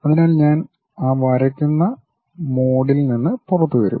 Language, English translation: Malayalam, So, I will come out of that draw mode